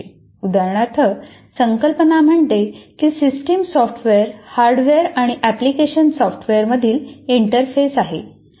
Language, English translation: Marathi, For example, system software is an interface between hardware and application software